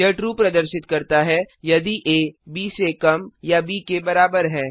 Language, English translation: Hindi, It returns true if a is less than or equal to b